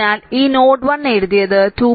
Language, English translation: Malayalam, So, that node 1 so, wrote you that 2